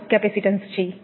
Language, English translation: Gujarati, Next, is capacitance